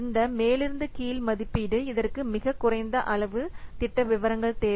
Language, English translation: Tamil, So, the top down estimation, it requires very few amount of project details, very minimal project details